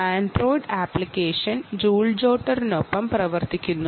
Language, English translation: Malayalam, the android app ah works with the joule jotter, the joule jotter android app